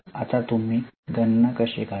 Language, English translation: Marathi, Now, how do you calculate